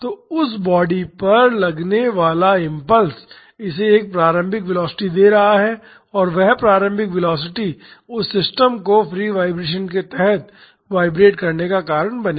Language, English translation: Hindi, So, the impulse acting on that body is giving it an initial velocity and that initial velocity will cause that system to vibrate under free vibrations